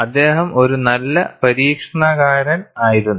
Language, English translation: Malayalam, He was a good experimentalist